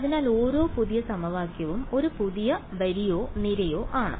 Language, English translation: Malayalam, So, every new equation is a new row or column